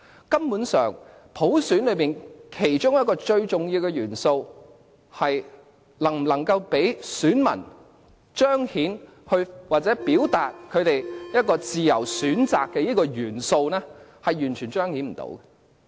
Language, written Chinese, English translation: Cantonese, 根本上，普選其中一個最重要的元素，即能否讓選民彰顯或表達其有自由選擇的元素，是完全無法彰顯的。, Basically one of the vital elements of universal suffrage the ability to let electors manifest or express their choices freely is utterly not manifested . Basically there is no freedom of choices